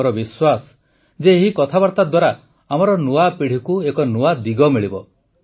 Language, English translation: Odia, I am sure that this conversation will give a new direction to our new generation